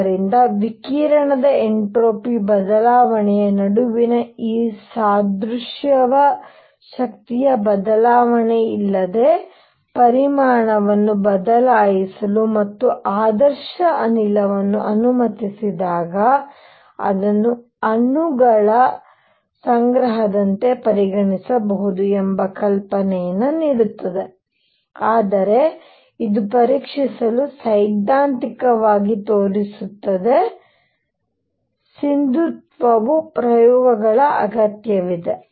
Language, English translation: Kannada, So, this analogy between entropy change of the radiation when it is allowed to changes volume without change in the energy and ideal gas gives you an idea that it can be treated like collection of molecules, but that is just a showing it theoretical to to check the validity one needs experiments